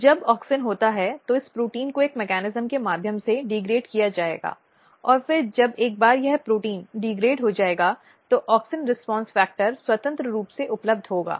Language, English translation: Hindi, So, when there is auxin this protein will be degraded through a mechanism and then once this protein will be degraded the auxin response factor will be freely available